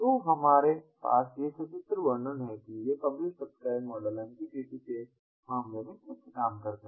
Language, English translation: Hindi, so what we have is this pictorial depiction of how this publish subscribe model works in the case of mqtt